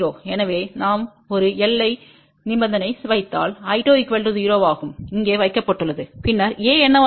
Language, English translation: Tamil, So, if we put a boundary condition is I 2 equal to 0 which is what has been put over here, then what will be A